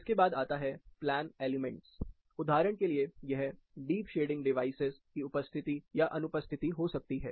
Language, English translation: Hindi, Following this, you have the plan elements, for example, it can be presence or absence of deep shading devices